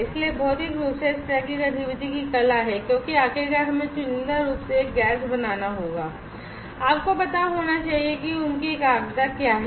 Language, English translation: Hindi, So, materially is the art of this kind of activity because finally, we will have to sense selectively a gas you should know what is their concentration